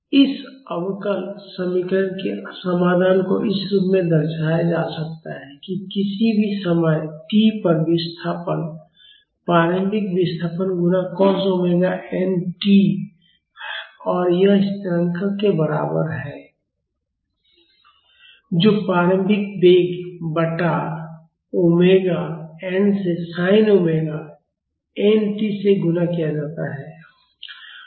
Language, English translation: Hindi, The solution of this differential equation can be represented as this that is the displacement at any time t is equal to the initial displacement multiplied by cos omega n t plus this constant, that is initial velocity divided by omega n multiplied by sin omega t